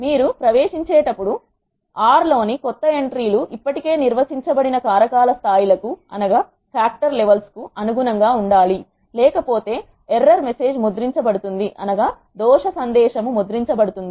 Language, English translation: Telugu, New entries in R when you are entering should be consistent with the factor levels that are already defined if not those error message will be printed out